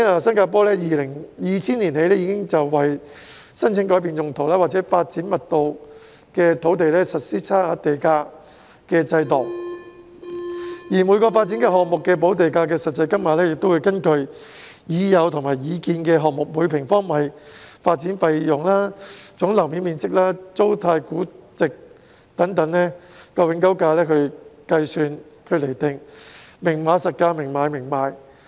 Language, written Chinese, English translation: Cantonese, 新加坡在2000年起已為申請改變用途或發展密度的土地，實施差額地價的制度，而每個發展項目的補地價實際金額，會根據已有和擬建項目的每平方米發展費用、總樓面面積、租賃價值佔永久價值的比率等來計算和釐定，"明碼實價，明買明賣"。, Starting from 2000 Singapore has implemented a differential premium system to deal with applications for change of land use or development density . Under the system the actual amount of land premium for each development project will be calculated and determined based on the per square metre development cost the gross floor area the rate of lease value in permanent value etc . of the completed and proposed projects